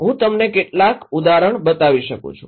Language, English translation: Gujarati, I can show you some example